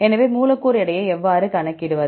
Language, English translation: Tamil, So, how to calculate the molecular weight